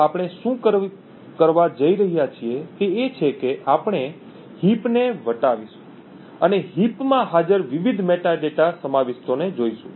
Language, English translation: Gujarati, So, what we are going to do is that we are going to traverse the heap and look at the various metadata contents present in the heap